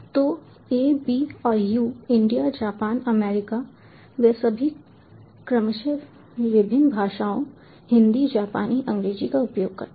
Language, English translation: Hindi, so a, b and u, india, japan, america they all use different languages: hindi, japanese, english respectively